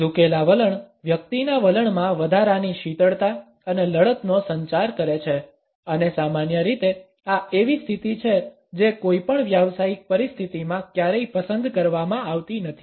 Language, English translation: Gujarati, The straddling stance communicates an added coldness and belligerence in the person’s attitude and normally this is a position which is never opted for in any professional situation